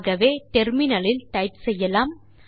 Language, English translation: Tamil, So we can type on the terminal figure 1